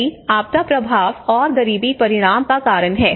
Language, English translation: Hindi, So that is how we have this disaster impacts and poverty outcomes